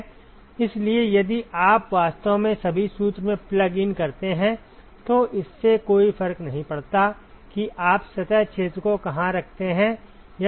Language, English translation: Hindi, So, if you actually plug in all the formula, it does not matter where you place the surface area